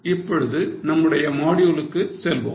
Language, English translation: Tamil, So, let us go ahead with our module